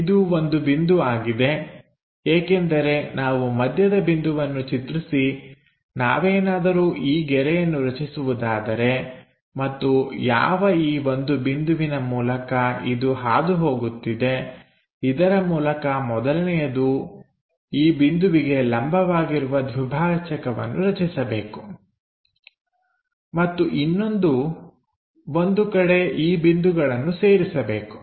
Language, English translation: Kannada, This is the point, because if we can draw this line constructing midpoint and the point through which it is passing through it first one has to construct a perpendicular bisector to this point, something there something there join these points